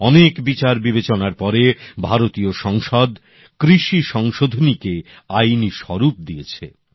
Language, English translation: Bengali, After a lot of deliberation, the Parliament of India gave a legal formto the agricultural reforms